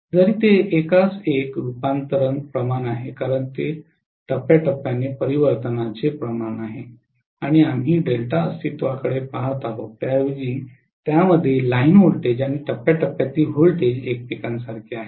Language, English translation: Marathi, Even if it is 1 is to 1 transformation ratio because it is phase to phase transformation ratio and we are looking at delta being rather it is having the line voltage and phase voltages as equal to each other